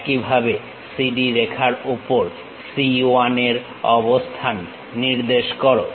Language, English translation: Bengali, Pick that distance, similarly on CD line locate C 1